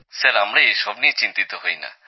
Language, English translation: Bengali, Sir, that doesn't bother us